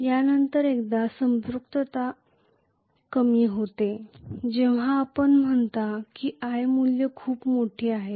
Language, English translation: Marathi, After that also once the saturation creeps in, as you say if the i value is very large